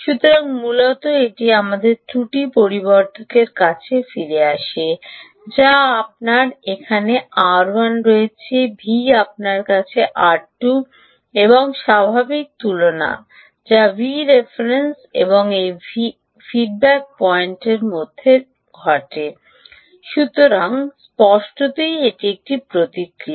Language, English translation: Bengali, so essentially, this is back to our error amplifier, which is v out here you have r one, you have r two and usual comparison that happens between v ref and this feedback point which comes